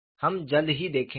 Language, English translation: Hindi, You would see sooner